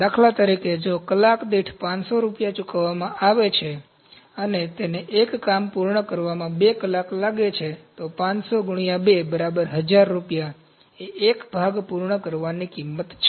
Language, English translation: Gujarati, For instance, if he is paid rupees 500 per hour, and it takes 2 hours to complete a job, so 500 into 2 1000 rupees is the cost of completing one part